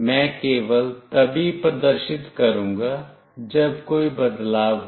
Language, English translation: Hindi, I am only displaying, when there is a change